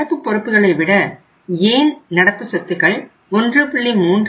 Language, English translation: Tamil, Why current assets are supposed to be means 1